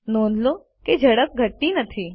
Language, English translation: Gujarati, Notice that the speed does not decrease